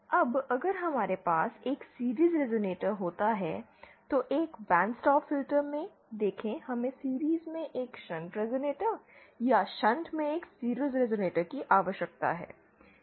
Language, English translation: Hindi, Now if we could have a series resonator, see in a band stop filters we need a shunt resonator in series or a series resonator in shunt